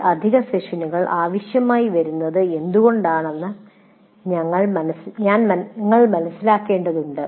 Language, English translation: Malayalam, So we need to understand why these additional sessions are required